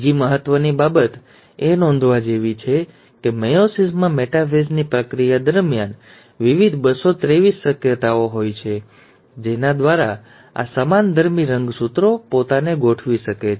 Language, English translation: Gujarati, The other important thing to note is that in meiosis one, during the process of metaphase, there is various, 223 possibilities by which these homologous chromosomes can arrange themselves